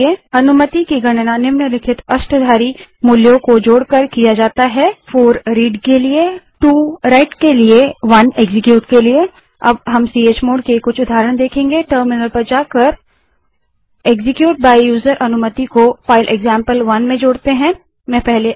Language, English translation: Hindi, Permissions are calculated by adding the following octal values: 4 that is Read 2 that is Write 1 that is Execute Now we will look at some examples of chmod Move to terminal and enter the command to add execute by user permission to file example1